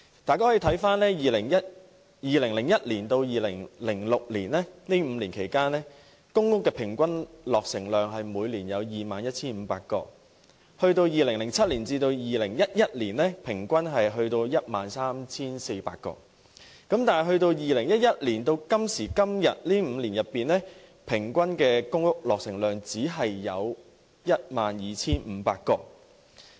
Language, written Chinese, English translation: Cantonese, 大家可翻查一下，在2001年至2006年這5年期間，公屋的平均落成量為每年 21,500 個 ，2007 年至2011年，公屋平均落成量為 13,400 個，而由2011年至今這5年中，公屋平均落成量只有 12,500 個。, The following information can reflect the situation the average annual PRH production in the five years between 2001 and 2006 was 21 500 units; 13 400 units between 2007 and 2011; and only 12 500 units for the five years since 2011 . However as the queue of applicants waiting for PRH gets longer and longer it seems that there is no end to the queue